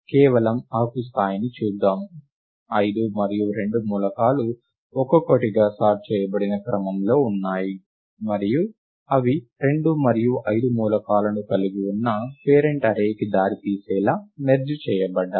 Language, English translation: Telugu, Lets just look at the leaf level, lets look at, the elements five and two, individually they are in sorted order, and they are merged to result in the parent array which has the elements two and five